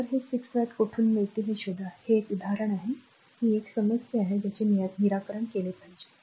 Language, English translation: Marathi, So, you find out from where you will get this 6 watt, this is an example this is a your what you call problem for you should solve this one right